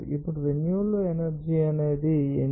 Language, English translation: Telugu, Now, renewable energy is called what is that